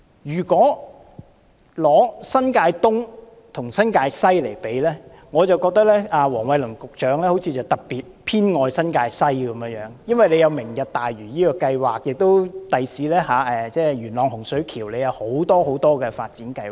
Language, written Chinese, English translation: Cantonese, 如果將新界東和新界西作比較，我覺得黃偉綸局長好像特別偏愛新界西，因為新界西有"明日大嶼"計劃，日後在元朗洪水橋也有很多發展計劃。, When comparing New Territories East with New Territories West I find that Secretary Michael WONG seems to show special favour to New Territories West as there is the Lantau Tomorrow plan there and a number of development projects will be carried out in Hung Shui Kiu Yuen Long in the future